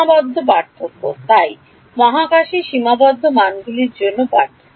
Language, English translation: Bengali, Finite differences so, differences between finite values in space